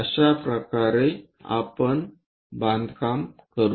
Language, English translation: Marathi, So, in that way, we will construct